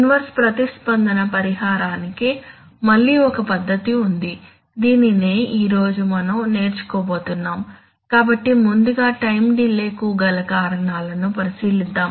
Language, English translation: Telugu, One method again of inverse response compensation, so this is what we are setting out to learn today, so let us first look at the causes of time delay